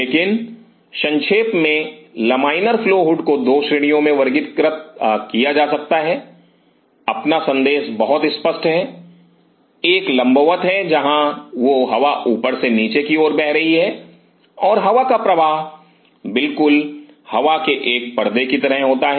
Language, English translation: Hindi, But in nutshell laminar flow hood could be classified into 2 categories the take home message is very clear, one is the vertical where they air is moving from the top to bottom and the air flow it is exactly like an air curtain